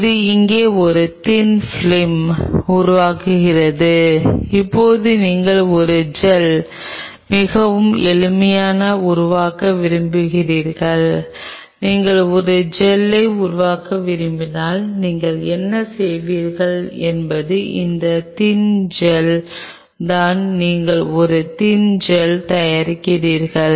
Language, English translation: Tamil, It forms a thin film out here, now you wanted to make a gel out of it very simple if you want to make a gel out of it what you do is this thin gel you are making a thin gel